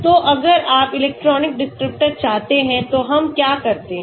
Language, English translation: Hindi, So if you want electronic descriptors what do we do